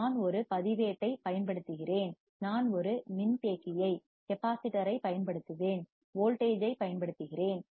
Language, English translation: Tamil, I use one register, I will use one capacitor, I apply a voltage